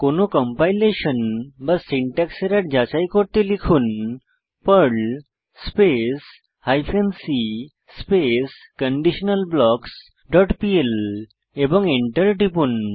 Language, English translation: Bengali, Type the following to check for any compilation or syntax error perl hyphen c conditionalBlocks dot pl and press Enter